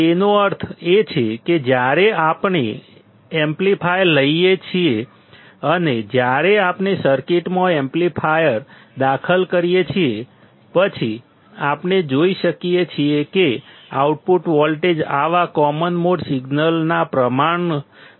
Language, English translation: Gujarati, It means that when we take an amplifier and when we insert the amplifier in the circuit; then we can see that the output voltage is proportional to such common mode signal